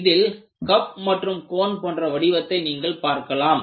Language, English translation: Tamil, so this forms like a cup and you have a cone